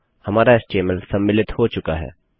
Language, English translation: Hindi, Our html has been incorporated